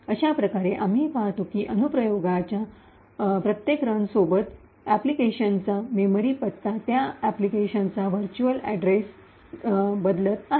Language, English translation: Marathi, Thus we see that each run of the application thus we see with each run of the application, the memory address of the application, the virtual address map for that application is changing